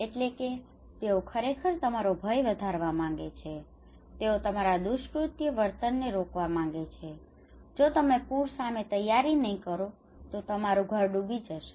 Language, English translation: Gujarati, That is they are actually want to increase your fear they want to stop your maladaptive behaviour if you do not prepare against flood then your house will be inundated